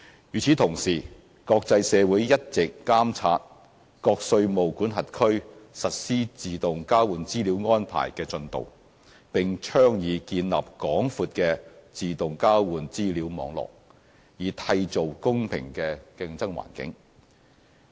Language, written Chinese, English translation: Cantonese, 與此同時，國際社會一直監察各稅務管轄區實施自動交換資料安排的進度，並倡議建立廣闊的自動交換資料網絡，以締造公平的競爭環境。, Meanwhile the international community has been monitoring jurisdictions progress in the implementation of AEOI and putting emphasis on a wide network of AEOI to ensure a level playing field